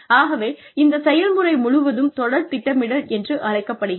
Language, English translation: Tamil, So, that whole process is called succession planning